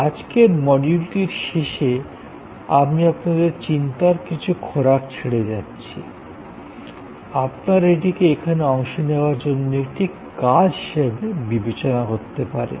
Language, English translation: Bengali, So, at the end of today's module, I leave with you some thoughts, you can consider this as an assignment for participation in the forum